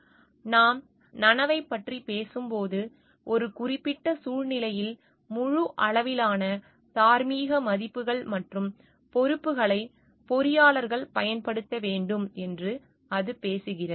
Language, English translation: Tamil, When we talking of consciousness, it talks of the it calls for engineers to exercise a full range of moral values and responsibilities in a given situation